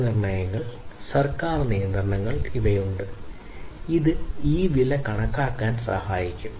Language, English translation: Malayalam, Price estimations, there are government regulations typically, which will help in this price estimation